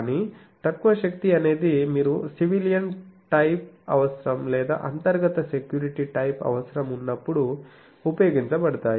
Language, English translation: Telugu, But, low power is a more you see civilian type of need or internal security type of need